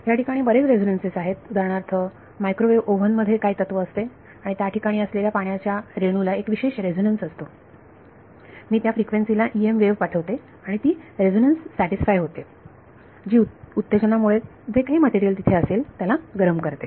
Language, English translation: Marathi, There are various resonances, for example, in a microwave oven, what is the principle and there is water molecule it has a certain resonance I send an EM wave at that frequency and that resonance condition being met it excites that resonance and heats up the whatever material is there